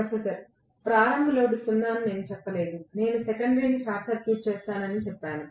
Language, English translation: Telugu, Professor: I did not say starting load is 0, I said that I will short circuit the secondary